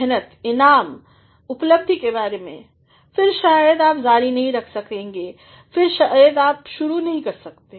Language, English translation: Hindi, If, you simply think about effort, reward, achievement, then perhaps you cannot continue then you cannot start